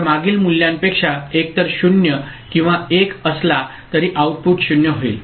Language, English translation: Marathi, So, in either case irrespective of the past value was 0 or 1, the output becomes 0